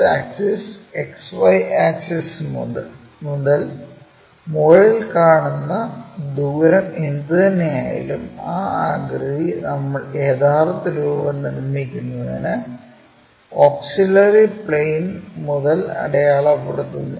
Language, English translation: Malayalam, From X original axis, XY axis whatever the distances we are seeing in the top view those distances we remark it from the auxiliary plane to construct the true shape